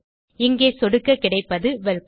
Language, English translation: Tamil, If I click here, we get Welcome